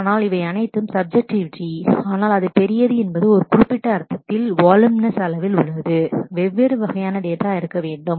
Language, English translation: Tamil, But these are all subjectivity, but it is large has a voluminous existent in certain sense, there has to be different variety different types of data